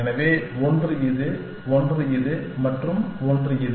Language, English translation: Tamil, So, one is this one, one is this one and one is this one